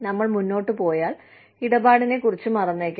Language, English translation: Malayalam, If we are, then, we go ahead, and forget about the deal